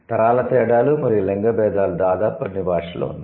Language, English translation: Telugu, So, the generational differences and the sex differences, they are there are there almost in all languages